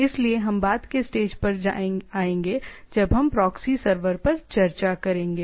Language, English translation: Hindi, So, we will come to that in a later stage when we will discussed on a on proxy severs